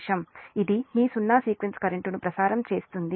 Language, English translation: Telugu, that means this zero sequence current can flow